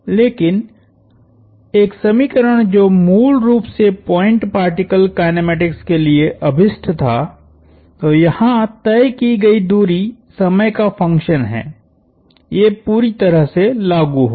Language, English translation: Hindi, But, an equation that was originally intended for point particle kinematics, distance travelled is a function of time would perfectly apply here